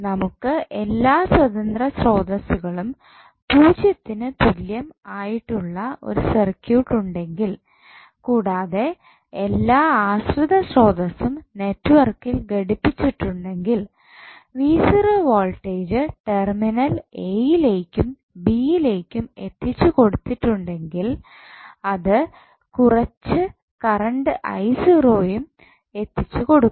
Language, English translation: Malayalam, If you have circuit with all independent sources set equal to zero and the keeping all the dependent sources connected with the network the terminal a and b would be supplied with voltage v naught which will supply some current i naught